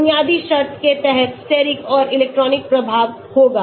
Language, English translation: Hindi, Under basic condition we will have Steric and Electronic effect